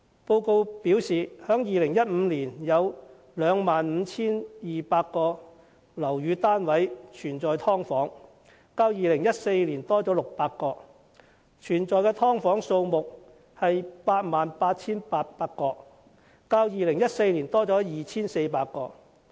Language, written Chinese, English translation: Cantonese, 報告指出，在2015年有 25,200 個屋宇單位有"劏房"，較2014年多600個，而"劏房"則有 88,800 個，較2014年多 2,400 個。, As pointed out in the report there were 25 200 quarters with subdivided units in 2015 which is 600 more than that of 2014; and there were 88 800 subdivided units which is 2 400 more than that of 2014